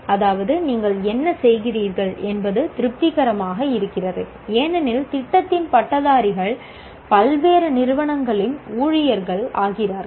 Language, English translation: Tamil, That means what you are doing is satisfactory because the graduates of the program are becoming the employees of various organizations